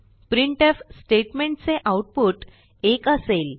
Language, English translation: Marathi, This printf statements output is 0